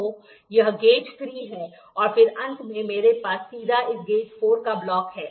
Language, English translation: Hindi, So, this is gauge 3 and then finally, I have a directly a block of this gauge 4